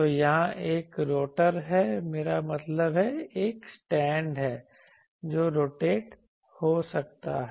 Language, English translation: Hindi, So here is an rotor I mean is a stand which can rotate